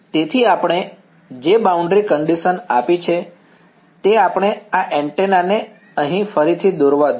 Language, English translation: Gujarati, So, the boundary conditions that we have let us redraw this antenna over here